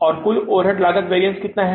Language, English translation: Hindi, And this is the total overhead cost variance